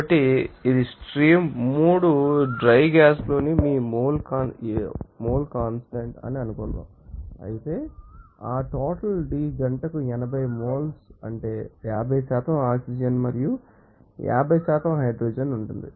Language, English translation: Telugu, So, this is your mole fraction of hydrogen in stream 3 dry gas suppose of course, that amount D what is amount 80 mole per hour will contains that 50% you know oxygen and 50% hydrogen there